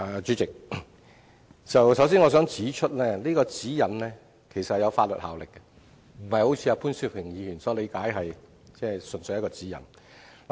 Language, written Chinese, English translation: Cantonese, 主席，我首先想指出，《指引》其實是有法律效力的，並非如潘兆平議員所理解，純粹是一個指引。, President first of all I wish to point out that GN is a legally - binding document rather than purely a guiding note as Mr POON understand it